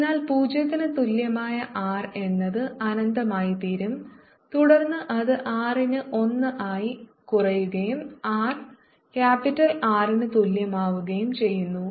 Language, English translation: Malayalam, so at r equal to zero is going to be infinity, and then it decays as one over r and at r equal to capital r its going to be sigma naught over capital r